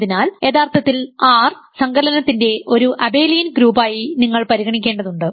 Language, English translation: Malayalam, So, it is really for the definition all you need to consider is the fact that R is an abelian group under addition